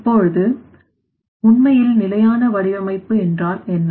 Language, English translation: Tamil, Now, what is that actually definition of that sustainable design